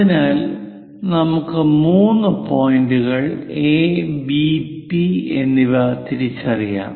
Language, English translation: Malayalam, So, let us identify three points A, perhaps P and point B